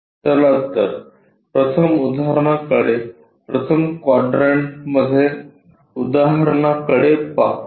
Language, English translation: Marathi, Let us look at an example the first problem is a in first quadrant